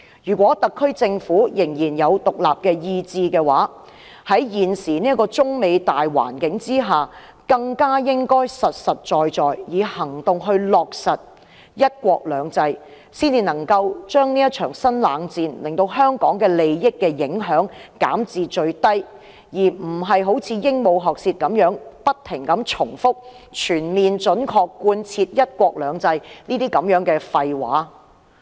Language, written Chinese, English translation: Cantonese, 如果特區政府仍有獨立意志，在現時中美貿易戰的大環境下，更應實實在在地以行動落實"一國兩制"，才能將這場新冷戰對香港利益的影響減至最低，而非像鸚鵡學舌般不斷重複"全面準確貫徹'一國兩制'"等廢話。, If the SAR Government still has an independent mind it should take practical actions to implement one country two systems under the general climate of the China - United States trade war so as to minimize the impact of the new cold war on the interests of Hong Kong . The Government must not parrot repeatedly such nonsense as fully and faithfully implement the policies of one country two systems